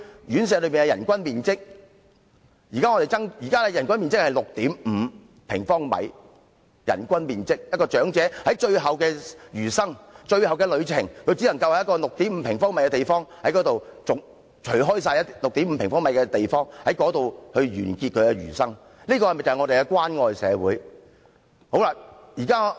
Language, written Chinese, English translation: Cantonese, 現時的人均最低面積是 6.5 平方米，長者的餘生或最後旅程，只能在一個 6.5 平方米的地方度過。這是關愛社會嗎？, The minimum area of floor space is currently 6.5 sq m so an elderly resident can only spend their twilight years or take their last journey in an area of 6.5 sq m Is this a caring society?